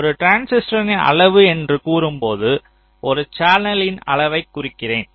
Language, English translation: Tamil, so when i say the size of a transistor means i refer to the size of a channel